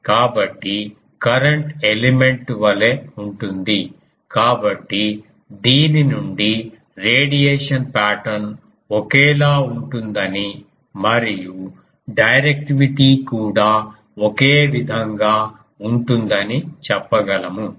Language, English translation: Telugu, So, same as the current element; so, from this we can say that radiation pattern will be same and directivity also will be same